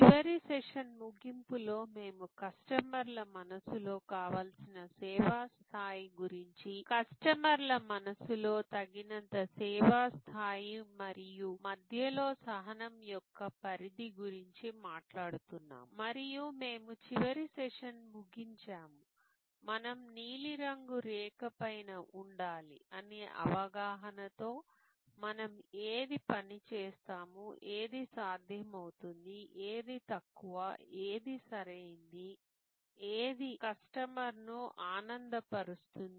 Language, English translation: Telugu, At the end of last session, we were talking about the desired service level in customers mind, the adequate service level in customers mind and the zone of tolerance in between and we concluded the last session, with the understanding that we need to be above the blue line, we need to go from the level of what works, what is feasible, what is ok to what wows, what delights the customer